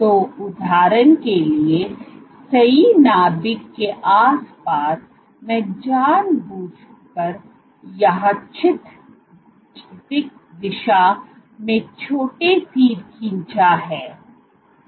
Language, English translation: Hindi, So, for example, right around the nucleus I have intentionally drawn small arrows in random direction